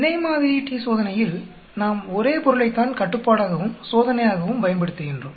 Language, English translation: Tamil, Paired sample t Test is nothing but we use the same subject as control as well as the test